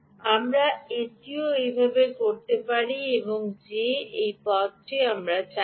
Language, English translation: Bengali, we can also do it this way that i don't want to do this path